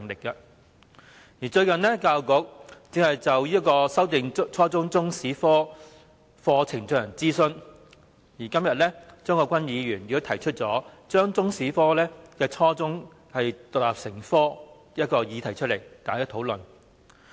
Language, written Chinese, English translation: Cantonese, 近日，教育局正就修訂初中中史科課程進行諮詢，而今天張國鈞議員也提出把初中中史獨立成科的議案辯論，讓大家進行討論。, Recently the Education Bureau is conducting a consultation on revising the Chinese History curriculum at junior secondary level and today Mr CHEUNG Kwok - kwan moves a motion debate on requiring the teaching Chinese history as an independent subject at junior secondary level